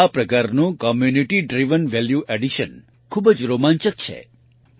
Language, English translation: Gujarati, This type of Community Driven Value addition is very exciting